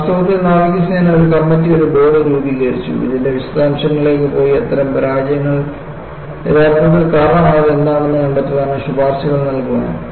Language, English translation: Malayalam, In fact, the navy formulated a committee, a board, to go into the details and find out what really caused such failures, and come out with recommendations